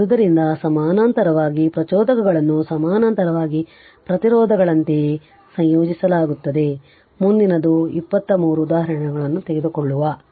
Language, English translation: Kannada, So, inductors in parallel are combined in the same way as resistors in parallel, next will take 2 3 examples